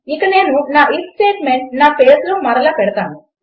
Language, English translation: Telugu, And Ill put my if statement back into my page